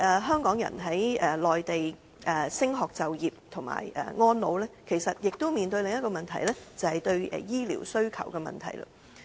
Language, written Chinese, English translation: Cantonese, 香港人在內地升學、就業及安老，其實亦都面對另一個問題，就是對醫療需求的問題。, Hong Kong people no matter studying working or retiring in the Mainland are actually facing another problem ie . the rising demand for health care services